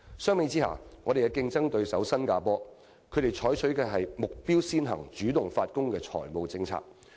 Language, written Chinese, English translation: Cantonese, 相比之下，我們的競爭對手新加坡所採取的是"目標先行、主動發功"的財稅政策。, By contrast our competitor Singapore adopts a set of generally proactive fiscal and tax policies with clear objectives